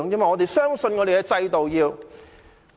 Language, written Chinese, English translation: Cantonese, 我們要相信我們的制度。, We must have confidence in our system